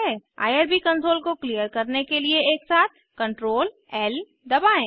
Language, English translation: Hindi, Clear the irb console by pressing Ctrl, L simultaneously